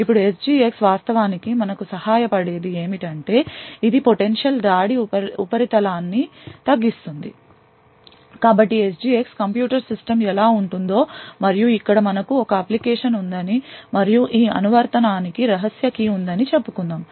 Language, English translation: Telugu, Now what SGX actually helps us do is that it reduces the potential attack surface so this is how SGX enables the computer system would look like and over here let us say we still have an application and this application has a secret key